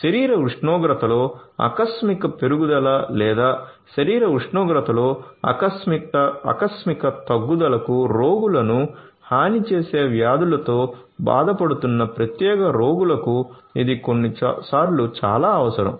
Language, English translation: Telugu, This sometimes is very much required particular patients who are suffering from diseases which make the patients vulnerable to sudden increase in the body temperature or sudden decrease in the body temperature